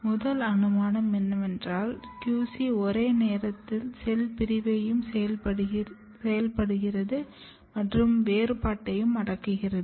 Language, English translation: Tamil, In first hypothesis, what can happen that QC is activating division and repressing differentiation simultaneously, independently